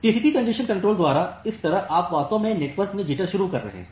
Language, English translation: Hindi, So, that way by TCP congestion control you are actually introducing jitter in the network